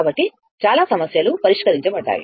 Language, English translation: Telugu, And so, many problems we have solved